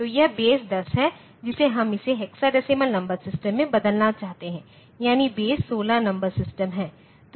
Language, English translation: Hindi, So, this is base 10 we want to convert it into hexadecimal number system, that is, base 16 number system